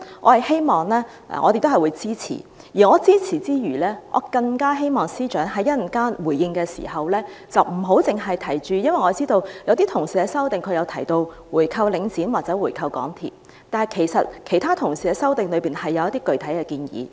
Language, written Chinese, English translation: Cantonese, 我會支持這些修正案，而支持之餘，更希望司長在稍後回應時，不要只提及......因為我知道有些同事的修正案提到回購領展或回購港鐵公司，但其實其他同事的修正案中亦有一些具體建議。, While I support these amendments I all the more hope that the Chief Secretary for Administration in his response later on will not only say Because I understand that the amendments proposed by some colleagues mentioned the buying back of Link REIT or MTRCL but the amendments proposed by other colleagues have actually put forward some concrete proposals